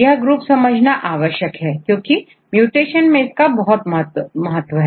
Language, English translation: Hindi, These groups are important to understand, specifically among the mutations